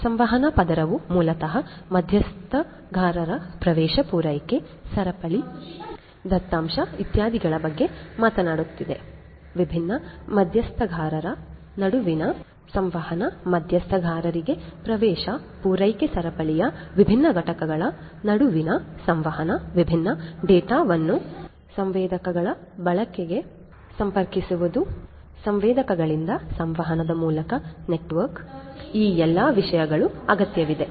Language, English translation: Kannada, Communication layer basically talks about stakeholder access supply chain data etcetera etcetera, the communication between the different stakeholders access to the stakeholders, communication between the different components of the supply chain, connecting different data to the use of sensors from the sensors through the communication network, all of these things are required